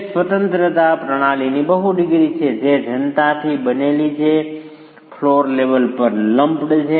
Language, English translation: Gujarati, It is a multi degree of freedom system composed of masses which are lumps at the floor level